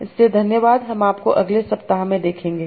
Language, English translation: Hindi, I will see you in the next week